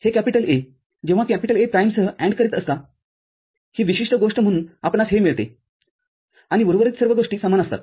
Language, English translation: Marathi, This A, when you are ANDing with A prime this particular thing, so you get this one and the rest of the remaining thing remains same